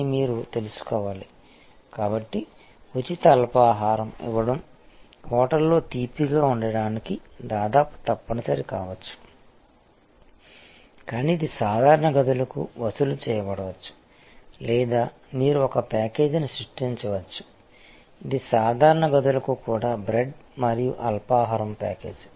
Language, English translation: Telugu, So, the giving a free breakfast make may be almost mandatory for a business sweet in a hotel, but it may be chargeable for normal rooms or you can create a package, which is bread and breakfast package even for normal rooms